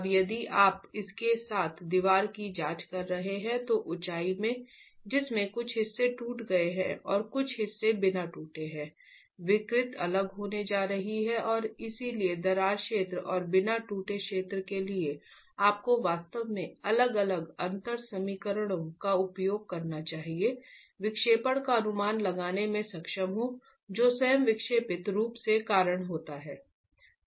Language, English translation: Hindi, Now if you were to examine the wall along its height which has some parts cracked and some parts uncracked the deformations are going to be different and therefore for the cracked zone and the uncracked zone you should actually be using different differential equations to be able to estimate the deflections that occur because of the deflected form itself